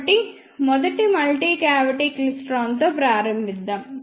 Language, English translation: Telugu, So, let us start with multicavity klystron first